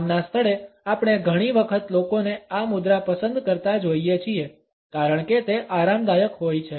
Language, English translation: Gujarati, In the work place, we often find people opting for this posture because it happens to be a comfortable one